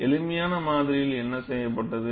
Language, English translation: Tamil, And what was done in a simplistic model